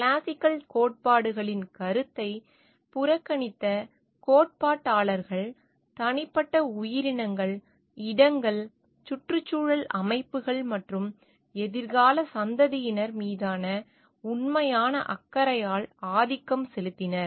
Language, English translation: Tamil, The theorists who neglected the idea of classical theories and were dominated by the real concern for the individual organisms, places, ecosystems and future generations